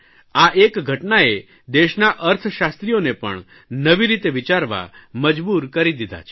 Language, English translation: Gujarati, This has also forced the economists of the country to think differently